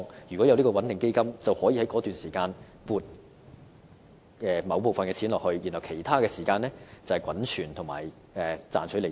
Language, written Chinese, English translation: Cantonese, 如果設立這個穩定基金，便可以在該段時間撥出某部分款項，而在其他時間，基金則可滾存和賺取利息。, Had this stabilization fund been established back then a certain sum of money could have been provided during those periods of time whereas at other times the fund could have been accumulated and generated an income from interest